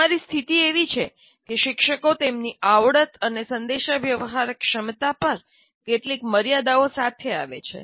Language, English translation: Gujarati, Teachers come with some limitations on their competencies and communication abilities